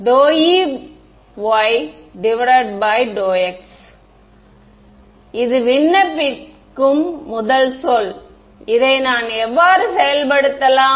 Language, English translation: Tamil, So, d E by dx that is the first term to apply d E y right how do I implement this